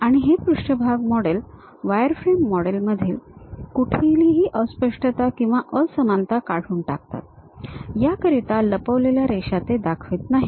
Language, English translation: Marathi, And, this surface models eliminates any ambiguity or non uniqueness present in wireframe models by hiding lines are not seen